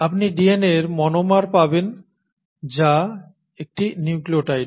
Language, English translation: Bengali, You get the monomer of DNA which is a nucleotide